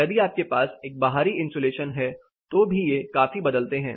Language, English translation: Hindi, If you have an external insulation it considerably varies